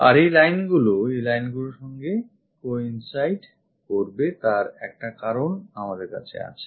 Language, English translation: Bengali, And these lines will coincides with this lines there is a reason we have it